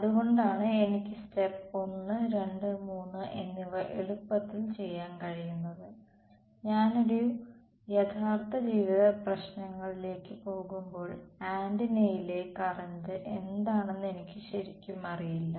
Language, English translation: Malayalam, So, that is why I can do step 1, 2, 3 easily, when I go to real life problems I actually do not know what is the current on the antenna itself